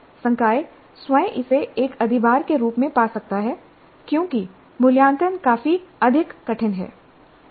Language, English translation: Hindi, And faculty itself may find this as an overload because the assessment is considerably more difficult